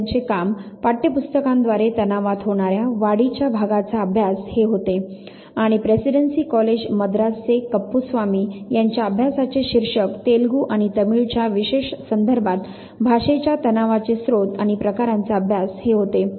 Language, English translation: Marathi, D Boaz of Madras university, his work was a study of the part played by textbooks in the development of tensions and Kuppuswamy of presidency college Madras he took up the study titled study of sources and forms of language tensions with special reference to Telugu and Tamil